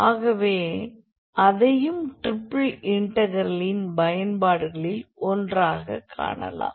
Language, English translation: Tamil, So, that also we can look into as one of the applications of the triple integral